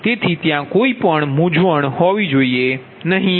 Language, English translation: Gujarati, so only there should not be any confusion